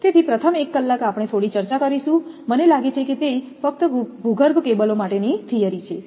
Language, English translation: Gujarati, So, we will come for first little interaction first 1 hour, I think it will be theory only for underground cables